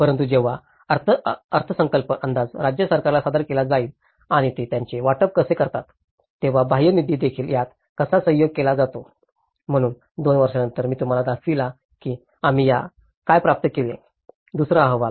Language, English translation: Marathi, But then when the budge estimate has been presented to the state government and how they allocate it, how the external funding is also collaborated with it, so after 2 years the second report, which I showed you, how what we have achieved